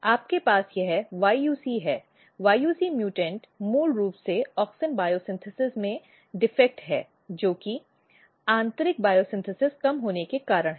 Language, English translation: Hindi, you have this YUC, yuc mutant is basically defect in auxin biosynthesis internal bio synthesis of auxin is reduced